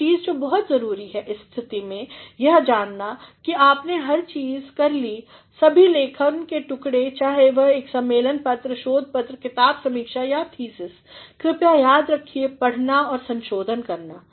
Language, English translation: Hindi, One thing which is very important at this juncture is to know, that you have done everything all pieces of writing with it is conference paper, research paper, book review or thesis, please remember to read and revise